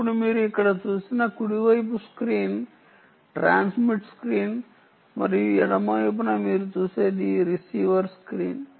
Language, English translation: Telugu, now, the right side screen that you see here is the transmit screen and on the left side what you see is the receiver screen